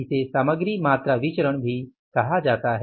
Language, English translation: Hindi, This is called as a material quantity variance also